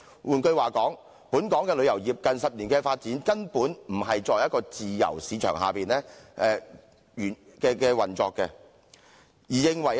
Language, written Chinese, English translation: Cantonese, 換言之，本港旅遊業近10年根本不是在自由市場的原則下運作。, In other words the tourism industry of Hong Kong has not been operating under free market principles over the recent 10 years